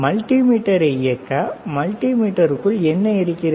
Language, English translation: Tamil, What is within the multimeter that operates the multimeter